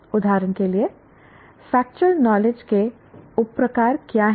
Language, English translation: Hindi, For example, what are the subtypes of factual knowledge